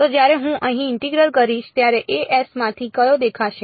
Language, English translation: Gujarati, So, when I do the integral over here which of the a s will appear